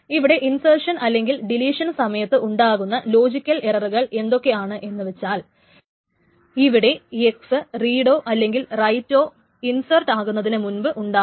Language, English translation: Malayalam, So let us summarize the logical errors is that, so the errors that can happen due to insertion and deletion, the logical errors that can happen is that there can be a read of x or write of x before insert x has taken place